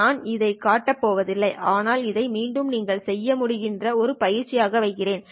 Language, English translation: Tamil, I'm not going to show this one, but you can, again, I'll put this as an exercise for you